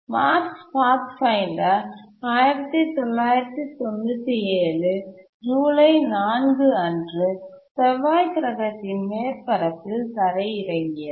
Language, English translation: Tamil, Mars Pathfinder landed on the Mars surface on 4th July 1997